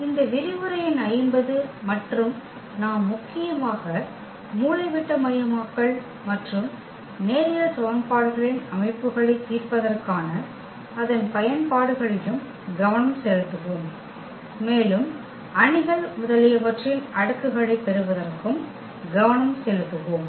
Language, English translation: Tamil, This is lecture number 50 and we will mainly focus on iagonalization and also it is applications for solving system of linear equations, also for getting the power of the matrices etcetera